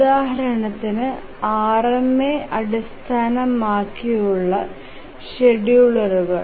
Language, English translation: Malayalam, For example, the RMA based schedulers are much more efficient